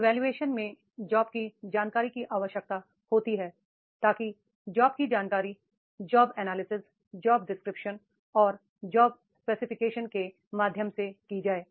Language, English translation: Hindi, Evaluation requires job information, that is the what type of the job information is there so that if that job information comes through the job analysis, job description and job specifications